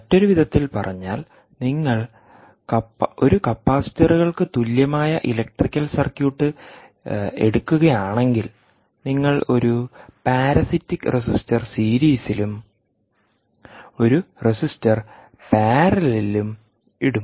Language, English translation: Malayalam, in other words, if you take a capacitors equivalent electrical circuit, you would put one parasitic resistor in series and one parasitic resistor in parallel